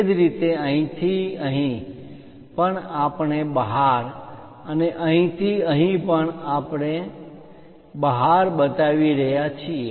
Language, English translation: Gujarati, Similarly, from here to here also we are showing outside and here to here also outside